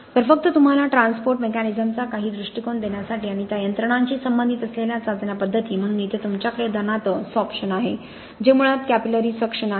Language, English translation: Marathi, So just to give you some perspective of the transport mechanisms that are involved and the tests methods that actually relate to those mechanisms, so here you have for example sorption which basically is capillary suction